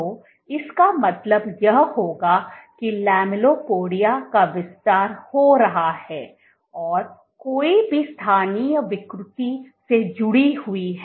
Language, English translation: Hindi, So, this would mean that the lamellipodia is expanding and any local deformation is associated